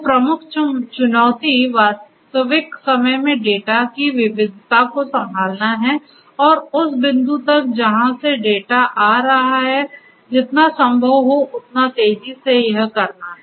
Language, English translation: Hindi, So, the major challenge is to handle the diversity of the data in real time and as close as possible and as fast as possible to the point from which the data are originating